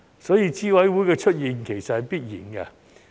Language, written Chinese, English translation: Cantonese, 所以，資審會的出現是必然的。, Therefore the emergence of CERC is inevitable